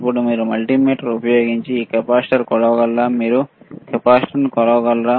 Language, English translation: Telugu, Now can you measure the capacitor using the this multimeter